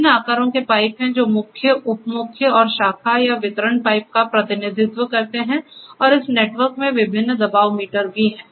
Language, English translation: Hindi, There are pipes of different sizes which represents mains, sub mains and the branch or distribution pipes and this network is nicely equipped with the various pressure meters